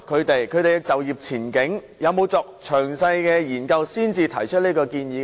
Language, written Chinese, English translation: Cantonese, 有否就他們的就業前景作詳細的研究才提出這項建議呢？, Did the Government study in detail their employment prospects before making such a proposal?